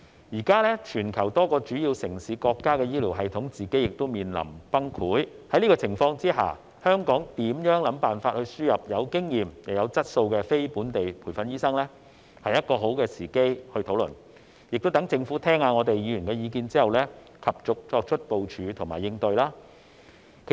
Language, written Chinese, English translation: Cantonese, 現時全球多個主要城市和國家的醫療系統面臨崩潰，在這個情況下，現在是討論香港如何設法輸入有經驗又有質素的非本地培訓醫生的好時機，讓政府聆聽議員的意見之後，及早作出部署和應對。, At present the healthcare systems in many major cities and countries are on the verge of collapse . Under these circumstances it is high time to discuss how Hong Kong can import experienced and quality non - locally trained doctors so that the Government can make early plans and responses having listened to Members views